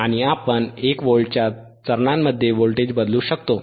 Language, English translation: Marathi, And we can vary the voltage in the steps of 1 volts